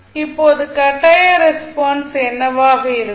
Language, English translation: Tamil, Now, what would be the forced response